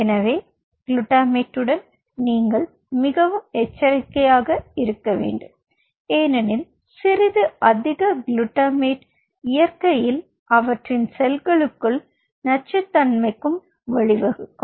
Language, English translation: Tamil, so you have to be very cautious with the glutamate, because a little bit of a higher glutamate could lead to toxicity within their cells in nature